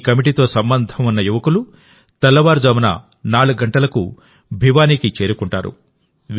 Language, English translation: Telugu, The youth associated with this committee reach Bhiwani at 4 in the morning